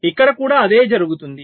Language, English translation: Telugu, so same thing will happen here also